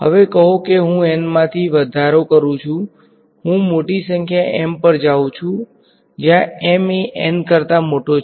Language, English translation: Gujarati, Now let say I increase from N, I go to a larger number M, where M is greater than N